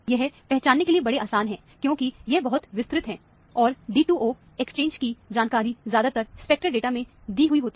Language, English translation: Hindi, They are easy to identify, because, they are very broad, and usually the D 2 O exchange information is often given in the spectral data